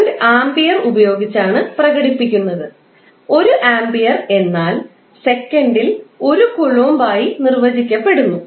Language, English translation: Malayalam, Current is defined in the form of amperes and 1 ampere is defined as 1 coulomb per second